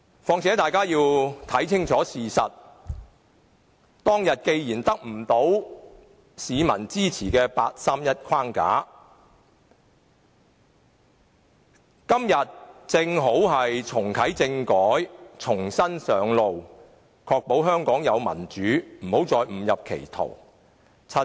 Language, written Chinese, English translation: Cantonese, 況且大家要看清楚事實，當天八三一框架既得不到市民支持，今天正好重啟政改，重新上路，確保香港能建立民主，不要再誤入歧途。, Moreover we have to face up squarely to the reality . As we have failed to gain any public support with the 31 August framework back then we should hit the road again by reactivating constitutional reform today so as to ensure that a democratic system can be established in Hong Kong and we will not go down a wrong path again